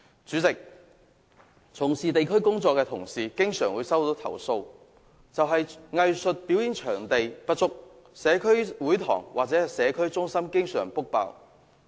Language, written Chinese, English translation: Cantonese, 主席，從事地區工作的同事經常接獲投訴，指藝術表演場地不足，社區會堂或社區中心經常預約額滿。, President colleagues working in the districts often received complaints about the lack of performing arts venues and community halls or community centers are always fully booked